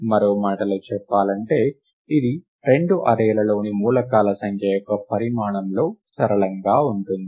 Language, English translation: Telugu, In other words it is just linear in the size of, the number of elements in the two arrays put together